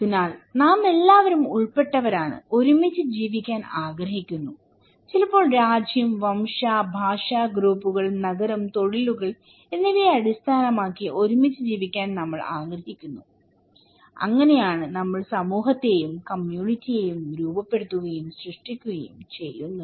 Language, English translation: Malayalam, So, we all comprise, want to live together, sometimes based on nation, race, linguistic groups, town, occupations, we want to live together and thatís how we form, create society and community okay